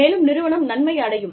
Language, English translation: Tamil, And, the organization, benefits